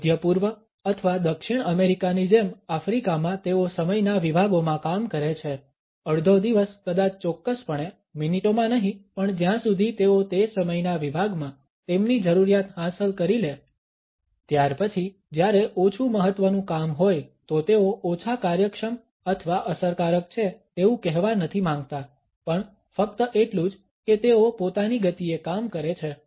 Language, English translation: Gujarati, In Africa like in the middle east or South America there they work in blocks of time, half a day maybe certainly not in minutes as long as they can achieve what they need in that block of time, then exactly when is less importance that is not to say that they are less efficient or effective its just that they work at their own pace